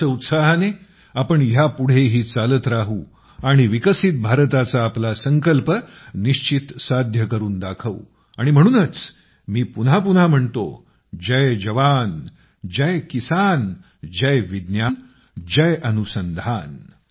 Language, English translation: Marathi, Moving ahead with this fervour, we shall achieve the vision of a developed India and that is why I say again and again, 'Jai JawanJai Kisan', 'Jai VigyanJai Anusandhan'